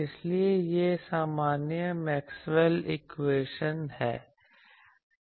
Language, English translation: Hindi, So, this is the generalized Maxwell’s equation